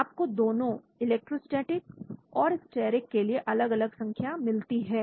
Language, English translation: Hindi, You got different values for both electrostatic and steric